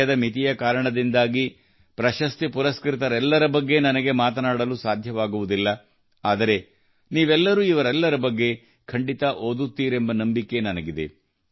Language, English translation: Kannada, Due to the limitation of time, I may not be able to talk about all the awardees here, but I am sure that you will definitely read about them